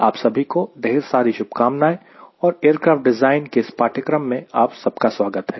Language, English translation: Hindi, wish you all the best and again, welcome to this course on aircraft design